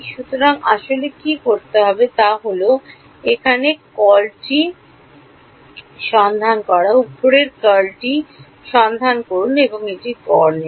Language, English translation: Bengali, So, what will actually have to do is find out the curl here, find out the curl above and take an average of it